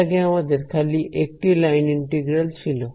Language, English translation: Bengali, Earlier we had only one line integral